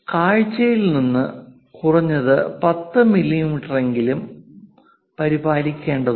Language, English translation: Malayalam, At least 10 mm from the view has to be maintained, kind of thing